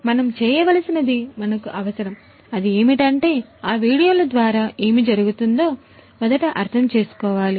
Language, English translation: Telugu, So, we need to what we need to do we need to really first understand what is going on through those videos that we are going to show you next